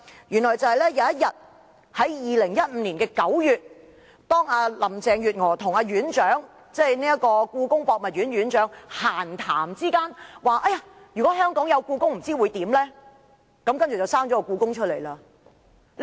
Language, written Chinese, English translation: Cantonese, 原來在2015年9月某天，當林鄭月娥與故宮博物院院長閒談時，提到"如果香港有故宮，不知會怎樣呢？, One day in September 2015 when Carrie LAM chatted with the Director of the Palace Museum she said What will it be like if there is a Palace Museum in Hong Kong